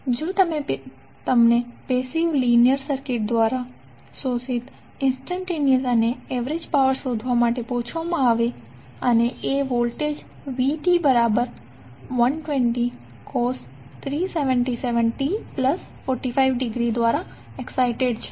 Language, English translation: Gujarati, Now, if you are asked to find the instantaneous and average power absorbed by a passive linear circuit and if it is excited by some voltage V that is given as 120 cos 377t plus 45 degree